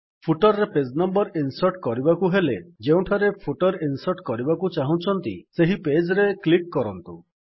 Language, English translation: Odia, To insert page numbers in the footer, we first click on the page where we want to insert the footer